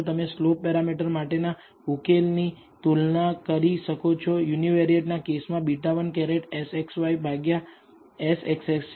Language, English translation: Gujarati, You can also compare the solution for the slope parameters, for the, with the univariate case which says beta 1 hat is SXy divided by SXX